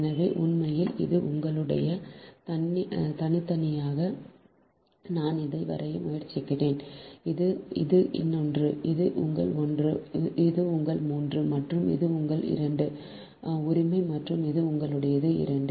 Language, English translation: Tamil, this is, this is another one, this is your one, this is your three and this, this is your two right and this is your two